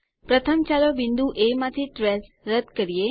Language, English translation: Gujarati, First lets remove the trace from point A